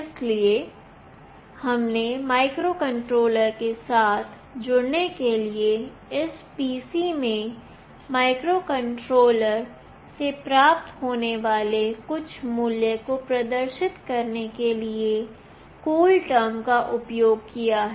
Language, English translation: Hindi, So, we have used CoolTerm to connect with the microcontroller and to display some value that we are receiving from the microcontroller into this PC